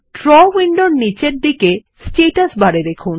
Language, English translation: Bengali, Look at the Status bar, at the bottom of the Draw window